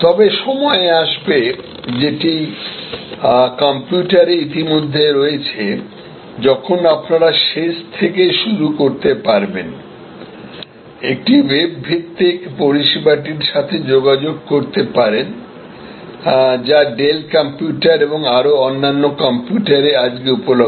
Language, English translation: Bengali, But, time will come, it is already there in computers, where you can start at the very end, you can interact with a web based service, available for in Dell computers and many other today